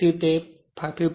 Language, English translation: Gujarati, So, it is 35